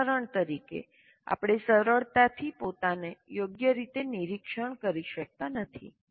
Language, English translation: Gujarati, For example, we haven't been able to monitor properly